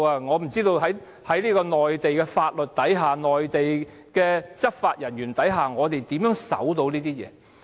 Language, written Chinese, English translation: Cantonese, 我不知道在內地法律和內地執法人員面前，我們可以怎樣遵守這些公約。, I do not know how we can abide by these covenants under Mainland laws and when we face law enforcement officers from the Mainland